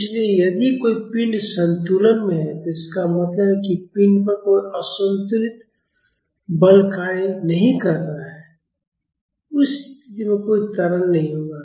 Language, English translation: Hindi, So, if a body is at equilibrium, that means, there is no unbalance force acting on the body; in that condition there won’t be any acceleration